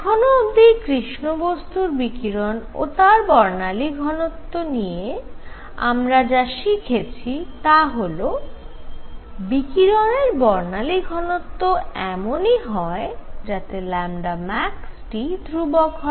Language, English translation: Bengali, So, what we have learnt so far about black body radiation and its spectral density is that the spectral density is going to be the radiation is such that lambda max times T is a constant